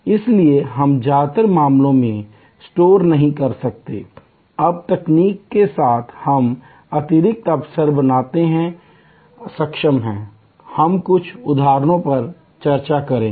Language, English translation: Hindi, So, we cannot store in most cases of course, now with technology we are able to create additional opportunities, we will discuss some examples